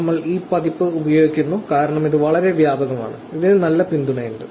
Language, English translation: Malayalam, We are using this version because it is very wide spread, it has good support